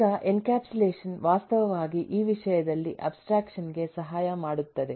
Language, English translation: Kannada, now, encapsulation actually helps abstraction by in terms of this